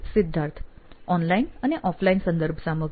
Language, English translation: Gujarati, Online, offline reference materials